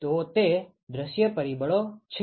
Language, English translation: Gujarati, So, that is the view factor